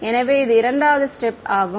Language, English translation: Tamil, So, this is the second step right